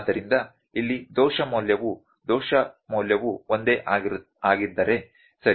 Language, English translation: Kannada, So, it is if the error value here the error value is same, ok